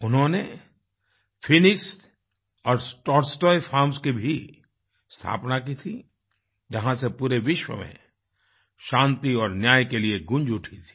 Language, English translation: Hindi, He also founded the Phoenix and Tolstoy Farms, from where the demand for peace and justice echoed to the whole world